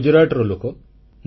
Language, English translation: Odia, I am from Gujarat